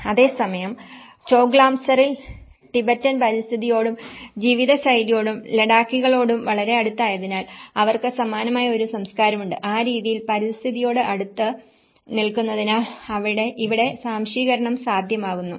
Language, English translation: Malayalam, Whereas, in Choglamsar because it is very close to the Tibetan environment and the way of lifestyle and the Ladakhis also they have a similar culture, in that way assimilation was clearly possible here because of its close proximity to its environment